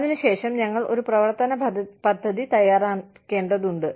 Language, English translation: Malayalam, Then, we need to design, an action plan